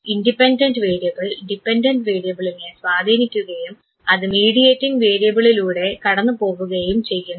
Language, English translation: Malayalam, The independent variable influences the dependent variable and it goes through the mediating variable